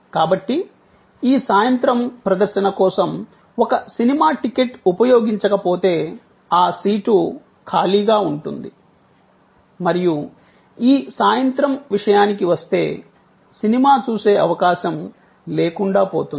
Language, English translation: Telugu, So, a movie ticket for this evening show, if not utilized that seat will be vacant and that opportunity for seeing the movie will be gone as far as this evening is concerned